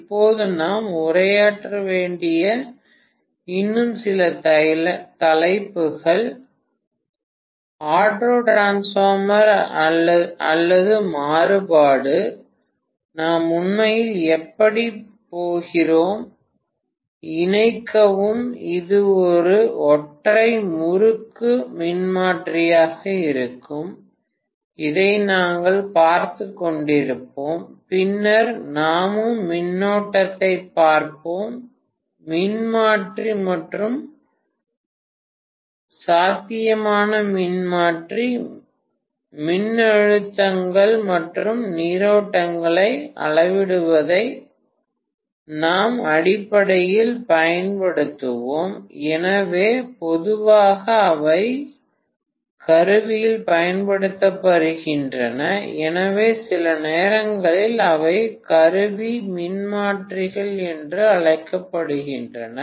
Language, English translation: Tamil, Now a few more topics that are pending that we need to address are, autotransformer or variac, how we are going to really, you know connect this will be a single winding transformer, we will be looking at this, then we will also be looking at current transformer and potential transformer which we would use basically for measuring voltages and currents, so generally they are used in instrumentation so sometimes they are also known as instrument transformers